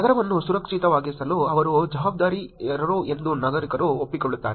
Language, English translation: Kannada, A citizen accepts that they are also accountable to make the city safe